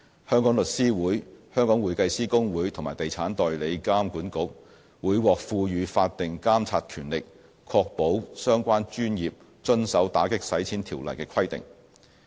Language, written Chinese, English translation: Cantonese, 香港律師會、香港會計師公會和地產代理監管局會獲賦予法定監察權力，確保相關專業遵守《條例》的規定。, The Law Society of Hong Kong the Hong Kong Institute of Certified Public Accountants and the Estate Agents Authority will be entrusted to assume statutory oversight for ensuring compliance of their respective professions with the requirements under the Ordinance